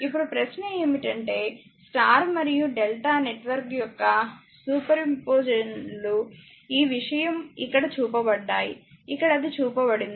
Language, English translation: Telugu, Now, question is superposition of y and delta networks is shown in figure this thing here; here it is shown